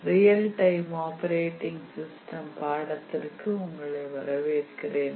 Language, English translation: Tamil, Welcome to this course on Real Time Operating System